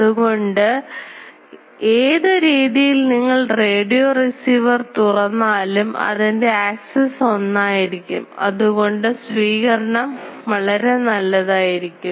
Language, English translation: Malayalam, So, whatever way you turn your radio receiver the axis is same; so, its reception is quite good